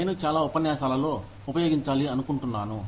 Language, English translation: Telugu, I like to use it, in so many lectures